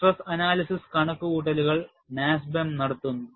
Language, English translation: Malayalam, And, NASBEM performs stress analysis calculations